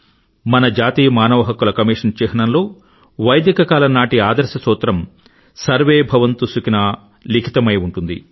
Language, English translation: Telugu, In the emblem of our National Human Rights Commission, the ideal mantra harking back to Vedic period "SarveBhavantuSukhinah" is inscribed